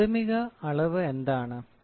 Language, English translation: Malayalam, What is primary measurement